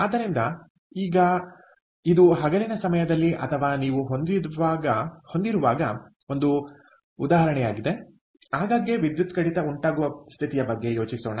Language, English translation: Kannada, so now, this is an example where, during the daytime, ok, during the daytime, or during when you have, let us even think about a situation where there are frequent power cuts